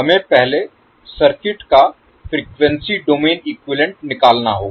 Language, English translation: Hindi, We need to first obtain the frequency domain equivalent of the circuit